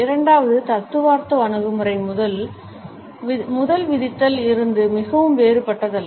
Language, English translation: Tamil, The second theoretical approach is in a way not very different from the first one